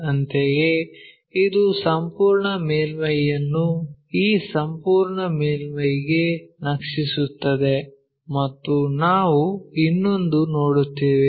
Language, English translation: Kannada, Similarly, this the entire surface maps to this entire surface and we will see another one